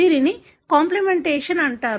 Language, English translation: Telugu, This is called as complementation